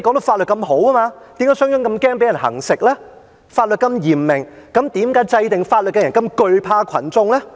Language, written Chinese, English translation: Cantonese, 法律已經那麼嚴明，為何制定法律的人那麼懼怕群眾呢？, Even though the law was so strict why should the one who formulated it be afraid of the mass?